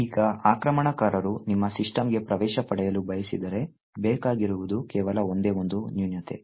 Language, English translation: Kannada, Now, if an attacker wants to get access to your system, all that is required is just a one single flaw